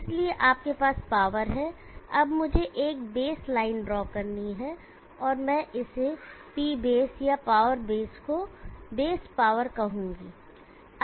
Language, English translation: Hindi, So you have the power, now let me draw a base line and I will call this as P base or power base the base power